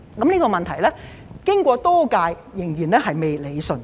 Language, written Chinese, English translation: Cantonese, 這個問題經過多屆政府仍然未得以理順。, But then this problem has remained unresolved throughout the previous terms of the Government